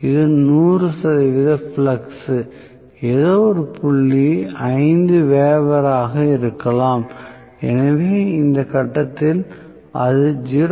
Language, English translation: Tamil, Let us say, this is100 percent flux, may be some point five weber, at this point it will be 0